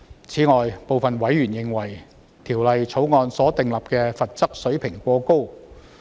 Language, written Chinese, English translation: Cantonese, 此外，部分委員認為，《條例草案》所訂立的罰則水平過高。, In addition some members consider the level of penalty imposed by the Bill too high